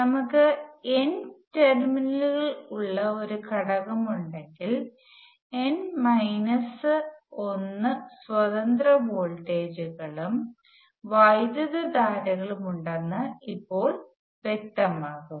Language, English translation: Malayalam, Now soon it will become clear that if we have N terminal element there are N minus 1 independent voltages and currents